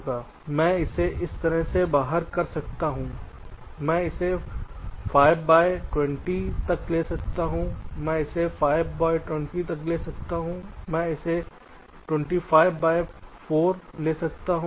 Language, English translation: Hindi, so i can lay it out like this: i can lay it out twenty by five, i can lay it out five by twenty